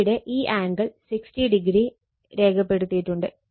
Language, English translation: Malayalam, So, so all angle here it is 60 degree is marked